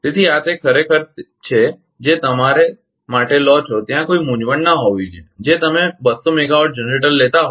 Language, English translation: Gujarati, So, this one it is actually you take for your there should not be any confusion you take 200 megawatt generator right